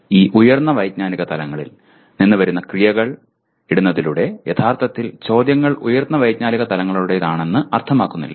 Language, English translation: Malayalam, By merely putting action verbs that come from these higher cognitive levels does not mean that actually the questions belong to higher cognitive levels